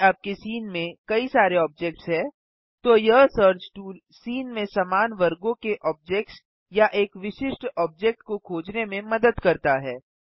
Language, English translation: Hindi, If your scene has multiple objects, then this search tool helps to filter out objects of similar groups or a particular object in the scene